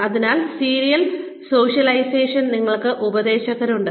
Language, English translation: Malayalam, So, in serial socialization, we have mentors